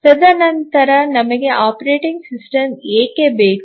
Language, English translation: Kannada, And then why do we need a operating system